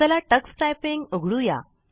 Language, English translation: Marathi, Let us open Tux Typing